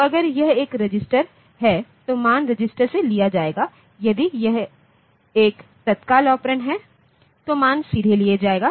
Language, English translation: Hindi, So, if it is a register the value will be taken from the register directly if it is an immediate operand